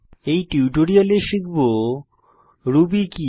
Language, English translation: Bengali, In this tutorial we will learn What is Ruby